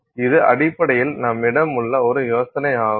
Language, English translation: Tamil, So, that is basically the idea that we have